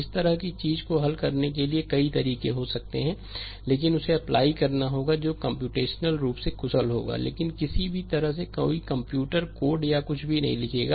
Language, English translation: Hindi, There may be many method for solving such this thing, but we have to apply which will be computationally efficient, but any way we will not do any we will not write any computer code or anything